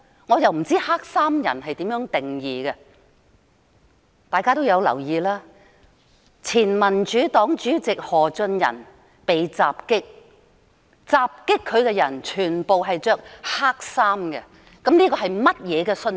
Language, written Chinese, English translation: Cantonese, "我不知道怎樣定義黑衣人，大家也留意到，前民主黨主席何俊仁被襲擊，襲擊他的人全部穿黑衣，請問這是甚麼信息？, I wonder what definition can be given to black - clad people . I say so because Members could see that the perpetrators of the attack on former Democratic Party Chairman Albert HO all dressed in black . What is the message behind this?